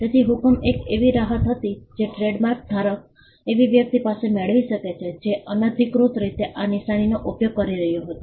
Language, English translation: Gujarati, So, injunction was the relief a trademark holder could get against a person who was unauthorizedly using the mark